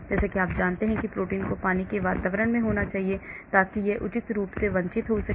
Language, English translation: Hindi, As you know proteins need to be in water environment so that it can assume proper conformation